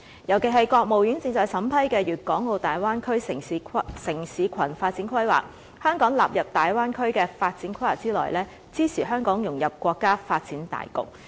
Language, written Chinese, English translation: Cantonese, 尤其是國務院正在審批的《粵港澳大灣區城市群發展規劃》，香港納入大灣區的發展規劃之內，支持香港融入國家發展大局。, Specifically the Development Plan for a City Cluster in the Guangdong - Hong Kong - Macao Bay Area Bay Area has been submitted to the State Council for approval . The inclusion of Hong Kong in the Bay Area development supports the integration of Hong Kong into the overall development of the country